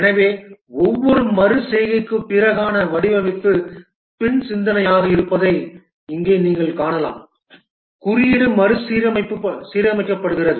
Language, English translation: Tamil, So here as you can see that the design after each iteration is after thought, the code is restructured